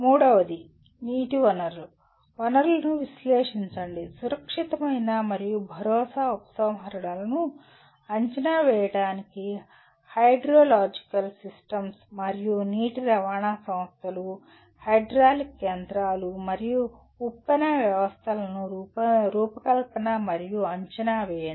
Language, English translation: Telugu, Third one, analyze water resource/resources, hydrological systems to estimate safe and assured withdrawals and specify design and evaluate water conveyance systems, hydraulic machines and surge systems